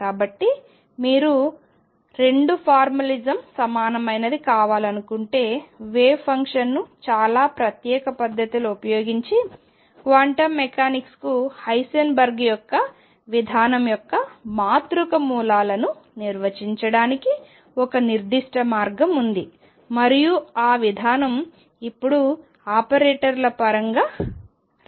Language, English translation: Telugu, So, if you want to have the 2 formulism equivalent then there is a particular way of defining the matrix elements of Heisenberg’s approach to quantum mechanics using the wave function in a very particular way and that way is now called through operators